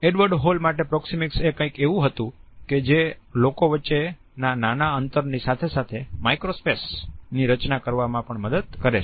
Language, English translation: Gujarati, To Edward Hall proxemics was something which helps us to structure the space as well as the micro space